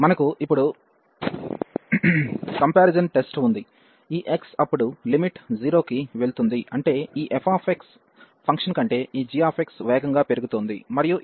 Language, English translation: Telugu, And now we have the comparison test, when this x then the limit is going to 0 that means this g x is growing faster than this f x function, and this is our g x here 1 over x square